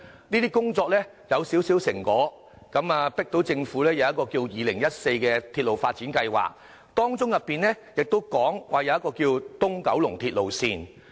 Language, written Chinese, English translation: Cantonese, 這些工作已取得少許成果，迫使政府推行《鐵路發展策略2014》，當中提到東九龍線。, These efforts have yielded some results . The Government has included the East Kowloon Line in its Railway Development Strategy 2014